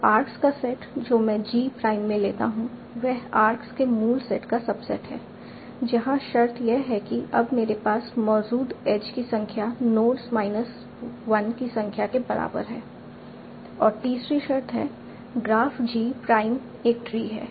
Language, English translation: Hindi, So the set of arcs that I take in G prime, the subset of the original set of arcs with the constraint that the number of edges that I have now is equivalent to number of nodes minus 1